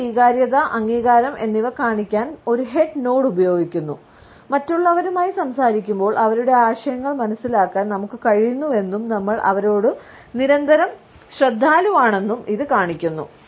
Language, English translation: Malayalam, A head nod is used to show our agreement, our approval, while be a talking to other people, it also shows that we are able to comprehend their ideas and that we are continually attentive to them